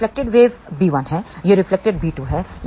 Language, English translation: Hindi, This is the reflected wave b 1; this is reflected b 2